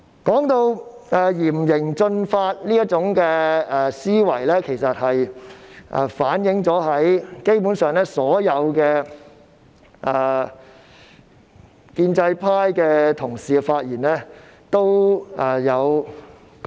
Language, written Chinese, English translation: Cantonese, 這種嚴刑峻法的思維，基本上反映在所有建制派同事的發言當中。, This thinking of imposing severe punishment is generally reflected in the speeches of all colleagues from the pro - establishment camp